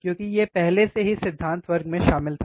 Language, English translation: Hindi, So, we have seen in the theory class